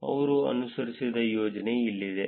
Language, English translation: Kannada, Here is the scheme that they followed